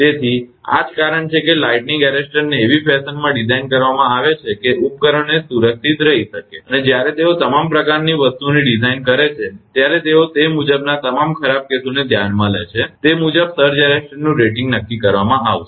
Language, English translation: Gujarati, So, that is why the lightning arrester is designed in such a fashion such that it can protect the equipment, and they when they design all sort of things they consider all the worst cases accordingly that surge arrester rating will be determined